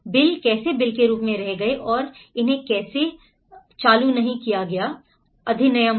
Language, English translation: Hindi, How the bills remained as a bill and how it has not been turned into an act